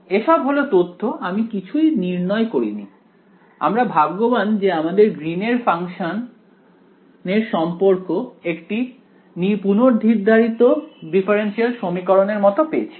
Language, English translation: Bengali, So, this is just information I have not derived anything, we got very lucky that our greens function relation came very similar to a preexisting differential equation